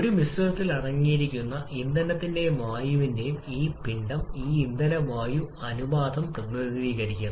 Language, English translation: Malayalam, This mass of fuel and air present in a mixture is represented by this fuel air ratio